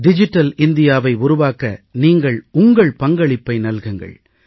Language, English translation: Tamil, It will be your contribution towards making of a digital India